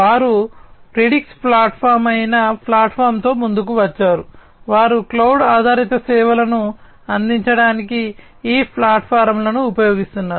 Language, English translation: Telugu, They have come up with a platform which is the Predix platform, they use this platform this is their platform for offering cloud based services